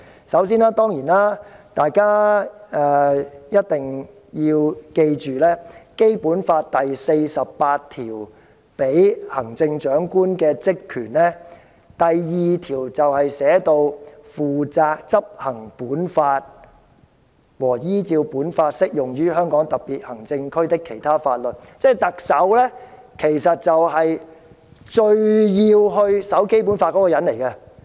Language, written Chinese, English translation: Cantonese, 首先，請大家記住，在《基本法》第四十八條賦予行政長官的職權中，第二項是"負責執行本法和依照本法適用於香港特別行政區的其他法律"，即特首其實是最需要遵守《基本法》的人。, I would like to explain it in three points . To start with please bear in mind that among the functions vested in the Chief Executive under Article 48 of the Basic Law the one in Article 482 is [t]o be responsible for the implementation of this Law and other laws which in accordance with this Law apply in the Hong Kong Special Administrative Region . That means the Chief Executive is in fact someone who is the most obliged to abide by the Basic Law